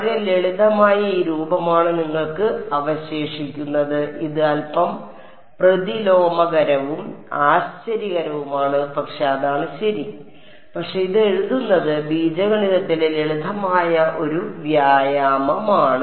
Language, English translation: Malayalam, You’re left with this very simple form it is a little counter intuitive and surprising, but that is what it is ok, but it is a simple exercise in algebra to write it